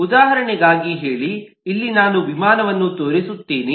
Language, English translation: Kannada, say, for an example, here i just show an aircraft